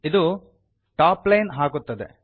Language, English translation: Kannada, It puts a top line